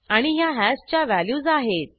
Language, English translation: Marathi, And these are the values of hash